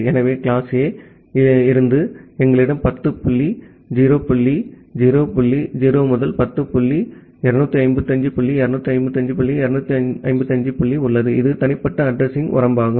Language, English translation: Tamil, So, from class A we have 10 dot 0 dot 0 dot 0 to 10 dot 255 dot 255 dot 255 that is the private address range